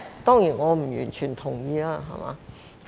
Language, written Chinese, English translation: Cantonese, 當然，我不完全同意。, Of course I do not agree entirely with him